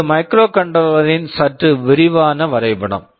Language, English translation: Tamil, This is a slightly more detailed diagram of a microcontroller